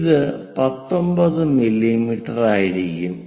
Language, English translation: Malayalam, So, let us measure 19 mm on the sheet